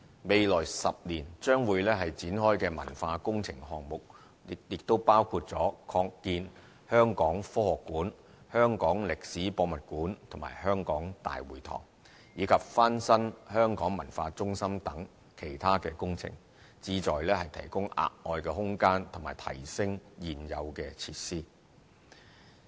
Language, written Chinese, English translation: Cantonese, 未來10年將會展開的文化工程項目，亦包括擴建香港科學館、香港歷史博物館和香港大會堂，以及翻新香港文化中心等其他工程，旨在提供額外空間及提升現有設施。, Cultural works projects to be launched in the next 10 years include the expansion of the Hong Kong Science Museum the Hong Kong Museum of History and the Hong Kong City Hall in addition to the renovation of facilities such as the Hong Kong Cultural Centre with the aim of providing extra space and upgrading existing facilities